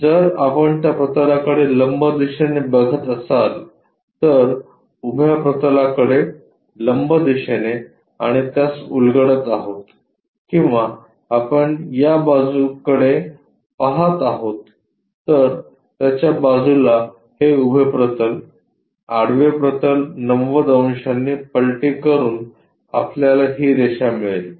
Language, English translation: Marathi, If we are looking normal to that plane, normal to vertical plane and unfolding it or if we are looking on to this sideways; sideways of that will be this is the vertical plane, horizontal plane by flipping 90 degrees we will have this line